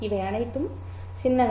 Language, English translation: Tamil, These are all the symbols